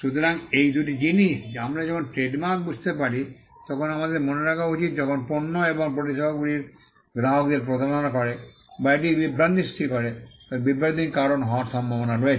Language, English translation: Bengali, So, these are two things, that we need to bear in mind when we understand trademarks, that when goods and services deceives customers, or it causes confusion or there is a likelihood to cause confusion